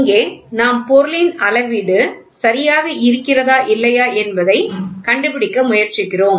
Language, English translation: Tamil, So, here we just try to figure out whether the component is ok or not